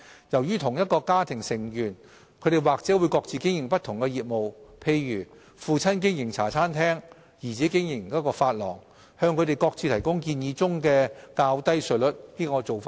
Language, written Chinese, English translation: Cantonese, 由於同一家庭的成員或會各自經營不同業務，例如父親經營茶餐廳，兒子經營髮廊，我們認為向他們各自提供建議中的較低稅率是合理的做法。, Given that members of the same family may run different businesses independently such as a father operating a Hong Kong style cafe and his son operating a hair salon business it is reasonable we believe to apply the proposed lower tax rate to each of them